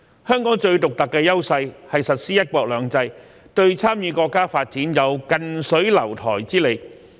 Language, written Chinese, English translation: Cantonese, 香港最獨特的優勢是實施"一國兩制"，對參與國家發展有近水樓台之利。, Hong Kongs most unique advantage is the implementation of one country two systems which provides the convenience of closeness for us to participate in the national development